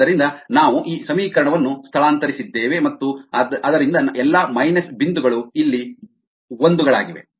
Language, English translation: Kannada, ok, so we have ah, transpose these equation and therefore all the minus ones have becomes ones